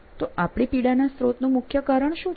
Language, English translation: Gujarati, So, what is the root cause the source of your suffering